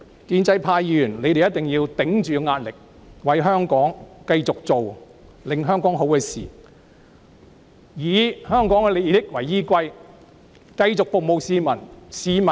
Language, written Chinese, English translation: Cantonese, 建制派議員一定要頂着壓力，繼續做有利香港的事情，以香港的利益為依歸，繼續服務市民。, Members of the pro - establishment camp must withstand the pressure continue to do what is conducive to and in the best interest of Hong Kong while serving the public